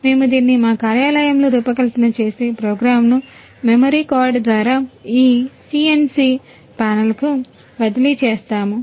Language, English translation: Telugu, We design it in our office and transfer the program to this CNC panel through the memory card